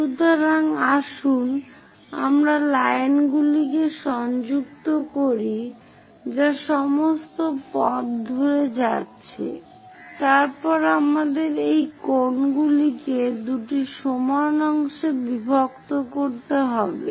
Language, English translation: Bengali, So, let us connect the lines which are going all the way up then we have to bisect this angles into 2 equal parts